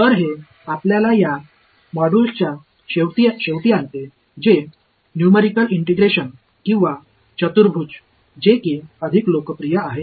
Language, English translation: Marathi, So, this brings us to an end of this module on numerical integration or quadrature as it is more popularly known